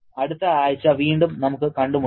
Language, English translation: Malayalam, We shall be meeting again in the next week